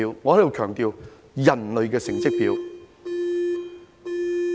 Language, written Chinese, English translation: Cantonese, 我在此強調，是人類的成績表。, I emphasize here that it is the report card of mankind